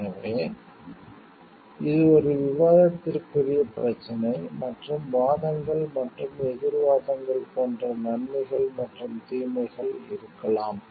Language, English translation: Tamil, So, this is a debatable issue and maybe pros and cons with like arguments and counter arguments